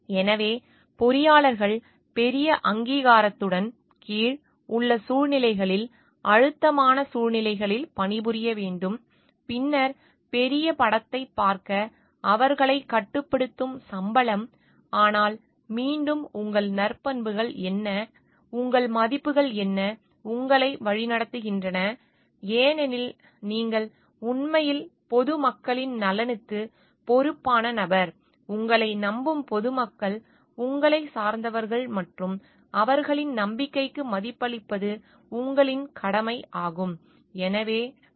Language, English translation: Tamil, So, engineers must maybe working in situations under large bureaucracies, in situations of pressure and then, salaries which may restrict them to see the larger picture, but again what are your virtues, what are your values which are guiding you because you are actually the person who is responsible for the interest of the public at large, public who trust you, who depend on you and it is a duty for you to respect their trust